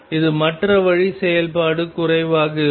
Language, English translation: Tamil, This is the other way function is going to low